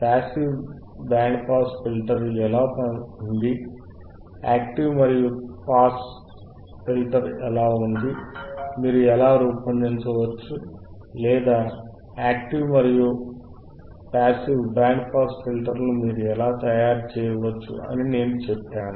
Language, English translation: Telugu, I had told you about how the passive band pass filter is, I had told you how the active and pass filter is, I had told you how you can how you can fabricate or how you can design the active and passive band pass filters